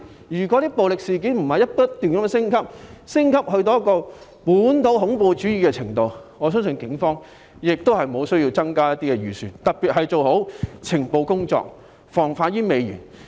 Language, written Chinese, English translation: Cantonese, 如果暴力事件不是不斷升級，升級至本土恐怖主義的程度，我相信警方也不需要增加預算，特別是用於加強情報工作，防患於未然。, Had the violent incidents not been incessantly escalated to the extent of local terrorism I believe the Police would not need to increase its budget particularly for the purpose of stepping up intelligence work and taking precautions